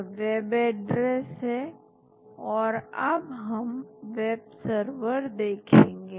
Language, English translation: Hindi, This is the web address and then we will see web server